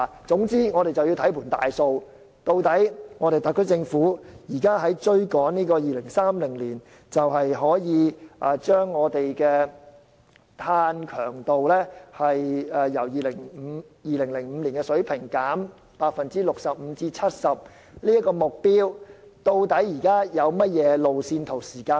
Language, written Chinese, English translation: Cantonese, 總之，我們要看全局，特區政府追求於2030年把本港的碳強度由2005年的水平降低 65% 至 70% 這個目標時，有甚麼路線圖和時間表？, All in all we must adopt a holistic approach . When the SAR Government pursues the target of reducing carbon intensity in Hong Kong by 65 % to 70 % by 2030 compared with the 2005 level has it drawn up any roadmap and timetable?